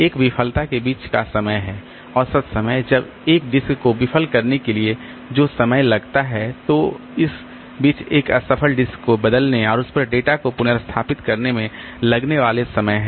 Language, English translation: Hindi, The average time it takes a disk to fail, then mean time to repair the time it takes to replace a failed disk and restore the data on it